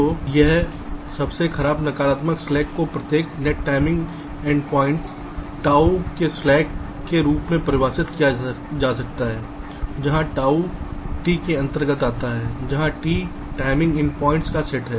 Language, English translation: Hindi, so this, this worst negative slack, can be defined as the slack for every net timing endpoints: tau, where tau belongs, to t, where t is the set of timing endpoints